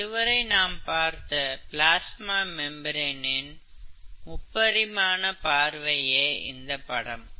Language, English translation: Tamil, So I am taking a part of the plasma membrane, a two dimensional view